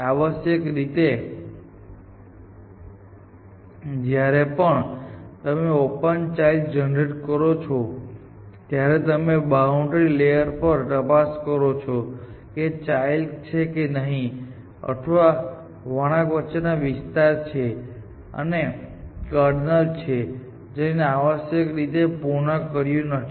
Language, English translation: Gujarati, Essentially, every time you generate children of open you check on the boundary layer if they are children or not and then this is the area between this curve and this curve is the kernel which you have not pruned essentially